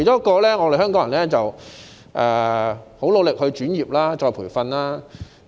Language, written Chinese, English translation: Cantonese, 其間，香港人十分努力轉業，接受再培訓。, In the meantime Hong Kong people have made great efforts to switch to another trade and receive retraining